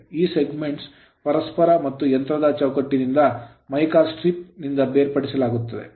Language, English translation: Kannada, These segments are separated from one another and from the frame of the machine by mica strip right